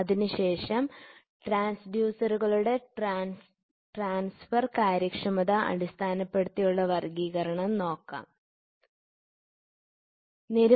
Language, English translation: Malayalam, And then we will try to see the transfer efficiency classifications of transducers